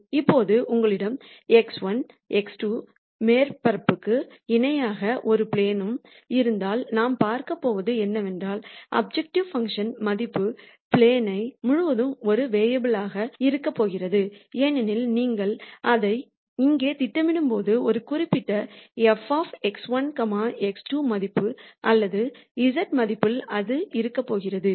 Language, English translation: Tamil, Now, if you have a plane that is parallel to the x 1, x 2 surface then what we are going to see is we are going to have the objective function value be a constant across the plane because when you project it here it is going to be at a particular f of x 1, x 2 value or z value